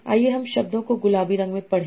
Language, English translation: Hindi, So let's read the words in pink